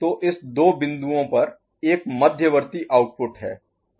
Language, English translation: Hindi, So, there is an intermediate output at this two points